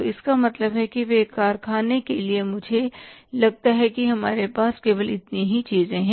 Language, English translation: Hindi, So, it means for the factory I think we have only this much of the items